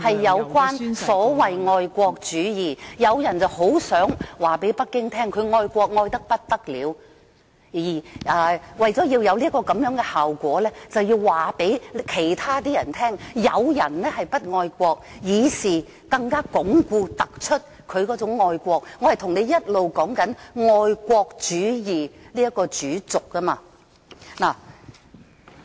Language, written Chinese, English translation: Cantonese, 有人很想告訴北京他愛國愛得不得了，而為達致這樣的效果，他便要告訴別人有人不愛國，從而更加鞏固、突出他的愛國。我一直是在說愛國主義這主軸。, somebody is keen to tell Beijing that he is so very patriotic towards the State and to this end he has to tell others that some people are unpatriotic in order to show more resolutely and highlight his love of the country and I have been speaking along the main axle of patriotism